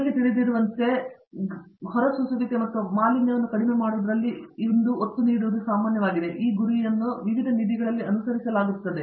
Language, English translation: Kannada, The emphasis today as you know is on reducing emissions and pollution and this goal is being pursued in many different funds